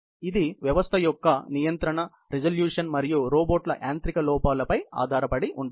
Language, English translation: Telugu, It depends on the system’s control resolution and robots mechanical inaccuracies